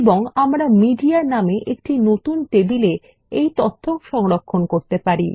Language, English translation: Bengali, And we can store this data in a new table called Media